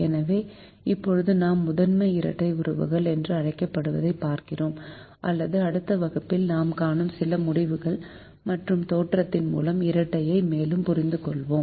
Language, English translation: Tamil, so we now look at what is called primal dual relationships, or understanding the dual further through some results and theorem which we will see in the next class